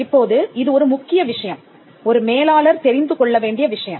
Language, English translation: Tamil, Now, this is a key thing which manager should be acquainted